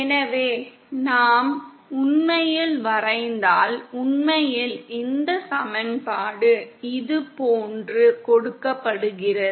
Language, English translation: Tamil, So if we actually plot, in fact this equation is given like this